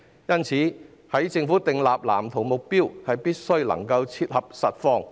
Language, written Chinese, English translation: Cantonese, 因此，政府在制訂藍圖的目標時，必須切合實況。, Therefore when the Government sets the objective of the Plan it must be relevant to the actual circumstances